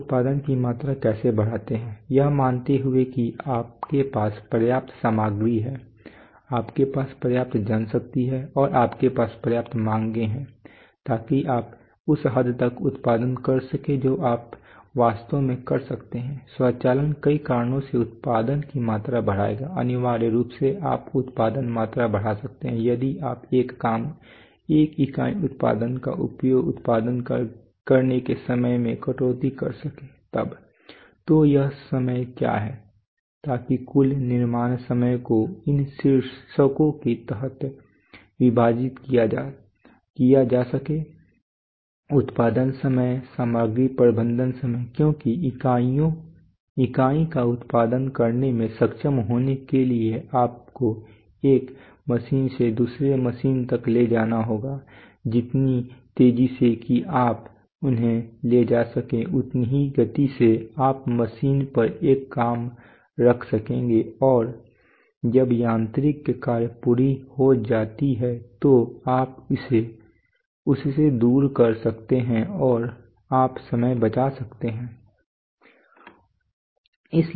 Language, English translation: Hindi, How do you increase production volume, assuming that you have enough material you have enough manpower and you have enough demand so that you can produce to the extent that you really can automation will will enhance production volume because of several reasons essentially you can increase volume of production if you can cut down the time to produce one job one one one unit product, so what is this time so the total manufacturing time can be divided under these heads production time, material handling time, because to be able to produce the unit you will have to take it from machine to machine, so the faster that you can take them the faster that you can place a job on a machine and you can take it away from it when the machining is done you will save in time